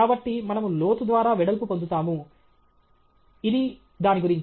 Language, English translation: Telugu, So, we gain width through the depth; this is about it